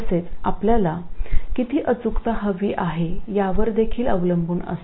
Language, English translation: Marathi, And it also depends on how much accuracy you want in the first place